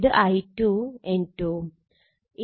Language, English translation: Malayalam, So, this is I 2 and at this N 2